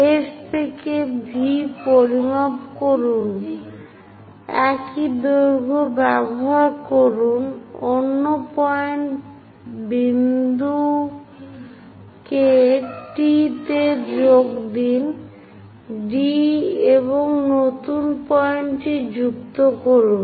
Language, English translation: Bengali, Measure from S dash to V, use the same length; mark other point T dash, join T dash and a new point